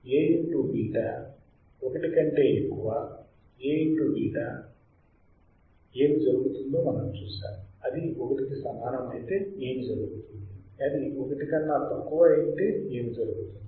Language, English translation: Telugu, And then we have seen that if we have A into beta greater than 1, what will happen right; if it is equal to 1, what will happen; if it is less than 1, what will happen